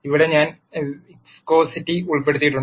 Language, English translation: Malayalam, Here I have also included viscosity